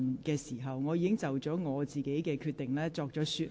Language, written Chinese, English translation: Cantonese, 而且，我已就我的裁決作出說明。, Moreover I have already explained my decision